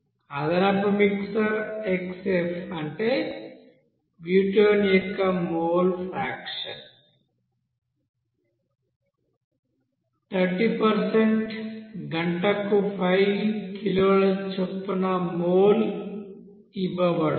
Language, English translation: Telugu, And additional mixture here xF that is mole fraction of butane as 30% is fed at the rate of you know 5 kg mole per hour